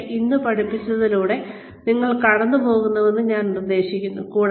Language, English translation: Malayalam, But, I would suggest that, you go through, whatever has been taught today